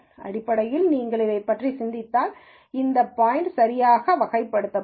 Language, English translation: Tamil, So, basically if you think about it, this point would be classified correctly and so on